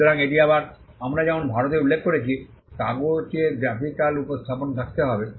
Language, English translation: Bengali, So, that is again as we just mentioned in India, there has to be a graphical representation on paper